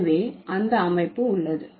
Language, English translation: Tamil, So, that is a structure